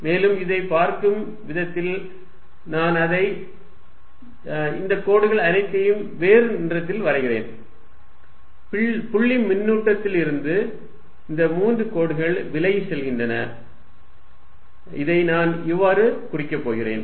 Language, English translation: Tamil, And the way it is going to look, I will draw it in different color is all these lines, three lines going away from this point charge, this is how I am going to denote it